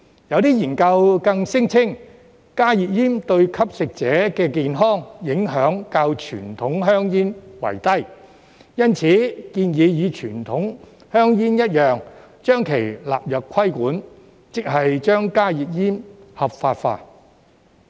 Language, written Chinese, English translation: Cantonese, 有些研究更聲稱，加熱煙對吸食者的健康影響較傳統香煙低，因此建議與傳統香煙一樣，將其納入規管，即是將加熱煙合法化。, Some studies even claim that HTPs have relatively less impact on the health of smokers than conventional cigarettes and therefore suggest that HTPs should be regulated in the same way as conventional cigarettes meaning legalizing HTPs